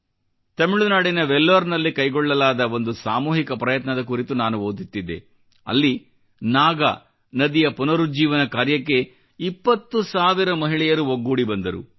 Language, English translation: Kannada, I was reading about the collective endeavour in Vellore of Tamilnadu where 20 thousand women came together to revive the Nag river